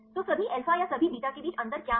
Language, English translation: Hindi, So, what is the difference between all alpha or all beta